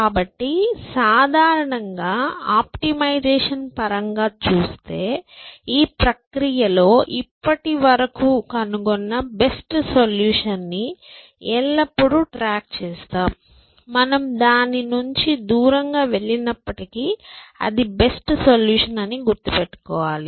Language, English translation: Telugu, So, looking at in general in optimization terms, that in this process always keep track of the best solution that you have found ever, even if you have moved away from it, remember that, that was the best solution